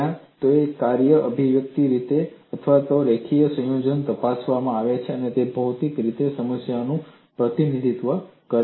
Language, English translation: Gujarati, Either the functions individually or in linear combinations are investigated to see what problem it represents physically